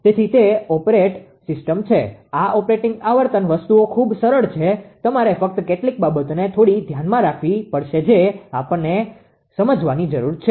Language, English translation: Gujarati, So, that is the operate system operating frequencies things are very simple just you have to keep certain things in mind a little bit little bit we need to understand, right